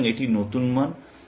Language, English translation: Bengali, So, this is the new value